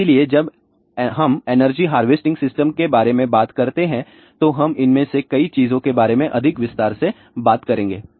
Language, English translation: Hindi, So, when we talk about energy harvesting system we will talk about some of these things in more detail